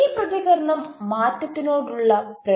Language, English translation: Malayalam, but the usual reaction is resistance to change